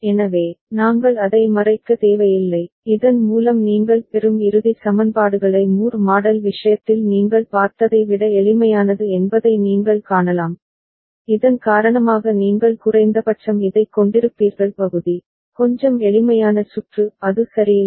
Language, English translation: Tamil, So, we do not need to cover it, so that way you can see the final equations that you get are simpler than the one that you had seen in case of Moore model right, so because of which you will be having at least for this part, little bit simpler circuit is not it ok